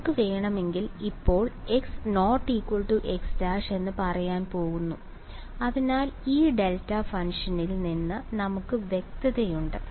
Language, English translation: Malayalam, And if we want we are going to for now just say x not equal to x prime just so that we stay clear of this delta function